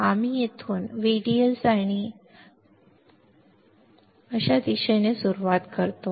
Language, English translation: Marathi, VDS we start from here VDS and in direction like this